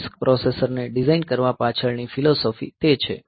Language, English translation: Gujarati, So, this is what is the philosophy behind designing, this RISC processor